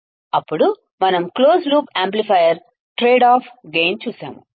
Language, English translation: Telugu, Then we have seen closed loop amplifier trade off gain